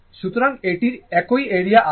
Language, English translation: Bengali, So, it has a same area right